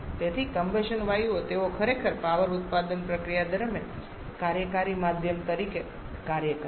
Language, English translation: Gujarati, So, the combustion gases they actually work or act as the working medium during the power producing process